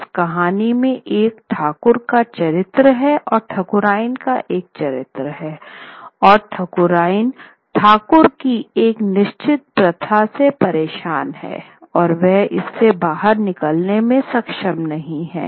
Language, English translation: Hindi, And here is a case where the Thakurian is troubled by a certain practice of the Thakur and she is not able to get out of it